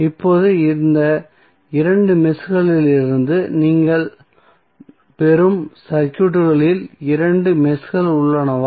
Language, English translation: Tamil, So, now you have two meshes in the circuit what we get from these two meshes